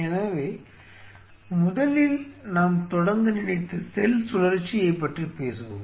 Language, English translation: Tamil, So, let us first of all talk about where we suppose to start is cell cycle